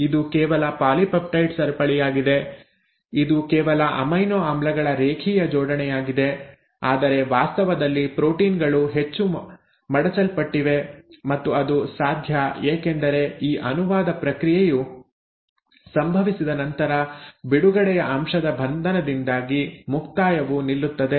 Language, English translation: Kannada, Now this is just a polypeptide chain, it is just a linear arrangement of amino acids but in reality the proteins are much more folded and that is possible because after this process of translation has happened, the termination will stop because of the binding of release factor